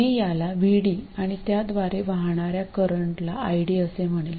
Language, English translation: Marathi, I will call the voltage across this VD and the current through it as ID